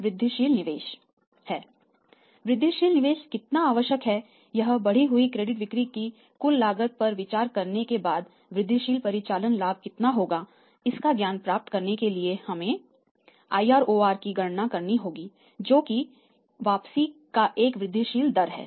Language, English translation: Hindi, How much incremental investment is required and after considering the total cost of the increased credit sales how much is the incremental operating profit is there so we will have to calculate IROR that is a incremental rate of return right